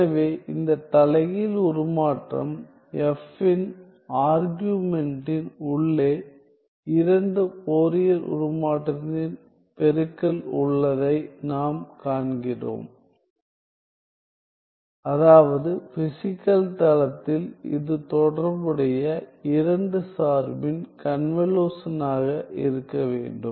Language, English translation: Tamil, So, we see inside the argument of this inverse transform F have a product of two Fourier transform which means that in the physical plane this must be the convolution of the corresponding two function